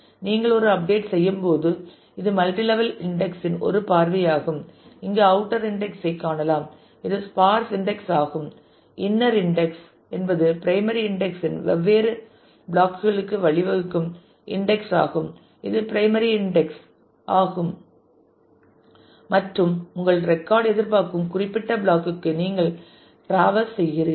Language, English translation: Tamil, When you do an update so, this is what is a view of the multi level index you can see the outer index which is sparsely index and index those lead to different blocks of primary index of the of the inner index which is the primary index and then you traverse to the specific block where your record is expected